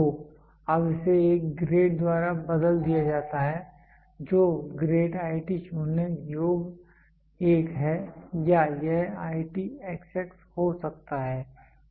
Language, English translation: Hindi, So, now this is replaced by a grade which grade is IT0 sum 1 or it can be IT xx